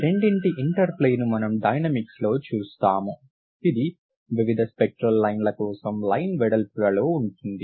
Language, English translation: Telugu, The interplay of these two is what you see in the dynamics which is in the line widths for various spectral lines